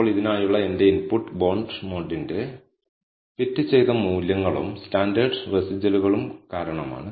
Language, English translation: Malayalam, Now, my input for this is fitted values of the bonds model and the standardized residuals the reason